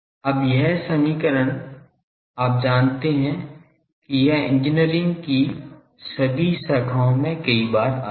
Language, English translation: Hindi, Now, this equation you know this comes several times in all branches of engineering